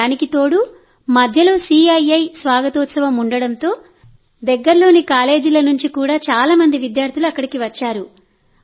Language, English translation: Telugu, Plus there was a CII Welcome Ceremony meanwhile, so many students from nearby colleges also came there